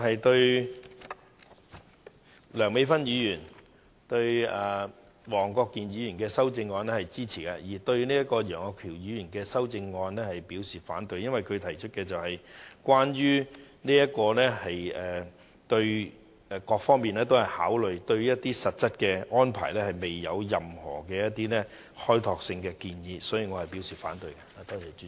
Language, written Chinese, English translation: Cantonese, 對於梁美芬議員及黃國健議員的修正案，我表示支持，而會反對楊岳橋議員的修正案，因為他只提出了關於各方面的考慮，但對實質安排卻沒有任何開拓性的建議，所以我表示反對。, I will support the amendments of Dr Priscilla LEUNG and Mr WONG Kwok - kin and oppose Mr Alvin YEUNGs amendment . The reason is that he has merely brought up various considerations without putting forth any insightful proposals on the concrete arrangements . Therefore I will oppose it